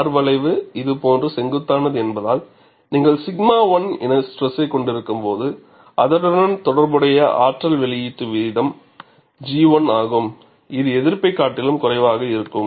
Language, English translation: Tamil, Because R curve is steep like this, when you have a stress as sigma 1 and the corresponding energy release rate is G 1, which is less than the resistance